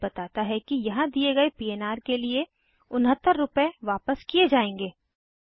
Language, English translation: Hindi, It says that, Rs.69 will be refunded for the PNR given here